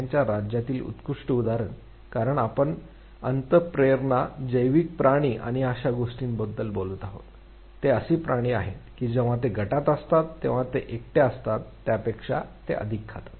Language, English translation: Marathi, The best example in the animal kingdom, because we have been talking about instincts biological creatures and such things; is that animals they are they eat faster when they are in a group rather than when there are all alone